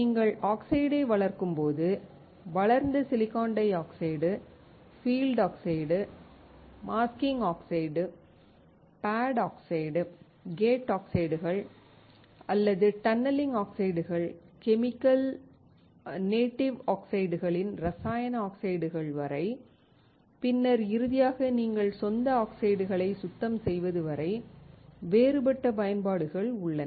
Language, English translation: Tamil, When you grow it, you have different application of the grown silicon dioxide, such as field oxide, masking oxide, pad oxides, gate oxides or tunneling oxides, chemical oxides from chemical native oxides and then finally, you have from cleaning the native oxides